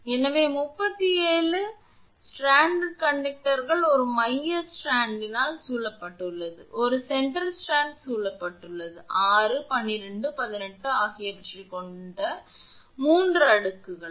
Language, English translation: Tamil, So, that means, 37 stranded conductors has a central strand surrounded by, one center strand surrounded by 3 layers containing 6, 12 and 18